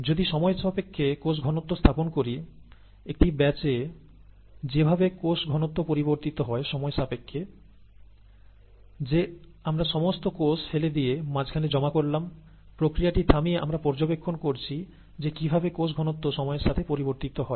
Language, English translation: Bengali, If we plot the cell concentration with time, the way the cell concentration varies with time during growth in a batch, that is we have dumped all the cells and provided the medium and so on so forth, staggering the process and we are monitoring how the cell concentration varies with time